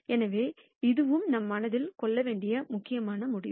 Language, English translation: Tamil, So, this is also an important result that we should keep in mind